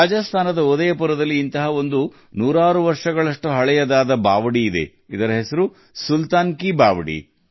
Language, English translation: Kannada, In Udaipur, Rajasthan, there is one such stepwell which is hundreds of years old 'Sultan Ki Baoli'